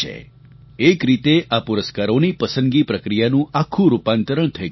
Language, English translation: Gujarati, In a way, the selection of these awards has been transformed completely